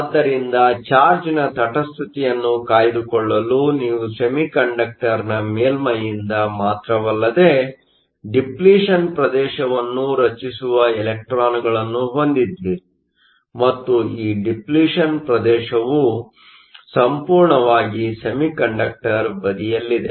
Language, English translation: Kannada, So, in order to maintain charge neutrality, you have electrons coming not only from the surface of the semiconductor, but also from the bulk creating a depletion region, and this depletion region lies entirely in the semiconductor side